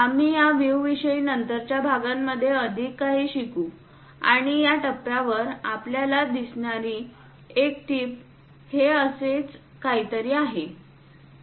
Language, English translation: Marathi, We will learn more about these views in later part of the sections and this point, tip we will see it is something like that